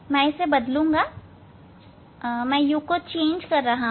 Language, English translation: Hindi, I will change the; that means, u I am changing